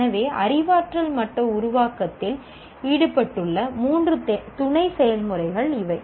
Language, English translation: Tamil, So these are the three sub processes that are involved in the cognitive level create